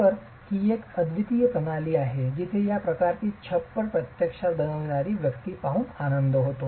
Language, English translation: Marathi, So, this is a unique system where it is a pleasure to see the person who is actually making this sort of a roof